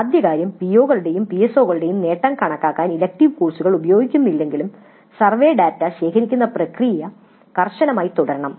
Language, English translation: Malayalam, First thing is that even though the elective courses are not being used to compute the attainment of POs and PSOs the process of collecting survey data must remain rigorous